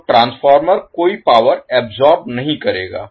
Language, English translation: Hindi, So, transformer will absorb no power